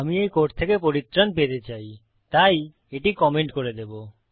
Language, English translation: Bengali, Now I want to get rid of this code so Ill comment this out